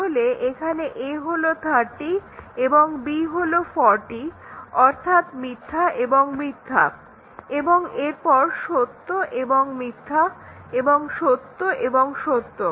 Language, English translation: Bengali, So, we need, a is 30, b is 20, so false and true; a is 30, b is 40, so false and false and then true and false and true and true